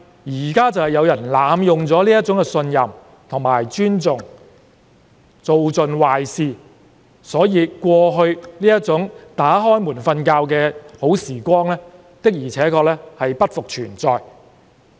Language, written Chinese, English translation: Cantonese, 不過，正正有人濫用這種信任和尊重做盡壞事，所以過去夜不閉戶的美好時光確實已不復存在。, But precisely because some of them have abused such trust and respect and done all sorts of bad things the good days of leaving the door unlocked at nighttime have become something of the past